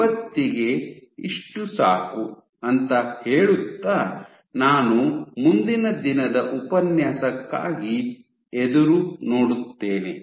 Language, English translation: Kannada, That’s it for today I will look forward to next day’s lecture